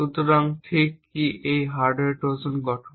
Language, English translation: Bengali, So, what exactly constitutes a hardware Trojan